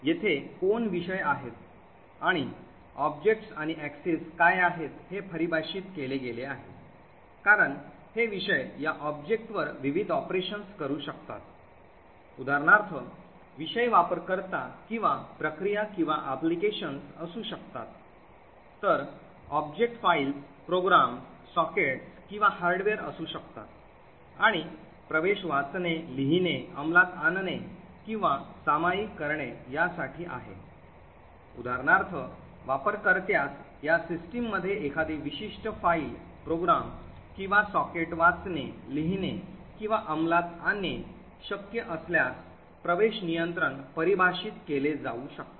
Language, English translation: Marathi, The who over here are the subjects and what are the objects and access is defined as various operations these subjects can perform on these objects, for example subjects can be user or process or an application, while objects can be files, programs, sockets or hardware and access would be read, write, execute or share, so for example access control can define if a user can read, write or execute a particular file, program or a socket in this system